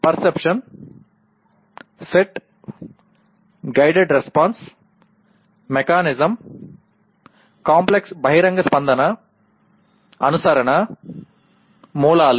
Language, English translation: Telugu, Perception, set, guided response, mechanism, complex overt response, adaptation, originations